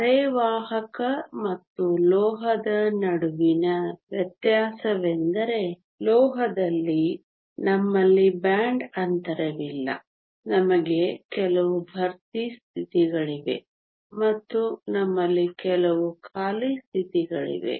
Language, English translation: Kannada, The difference between a semiconductor and a metal is that in a metal we do not have a band gap we have some fill states and we have some empty states